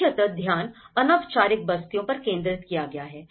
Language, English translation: Hindi, So, the focus has been very much focus on the informal settlements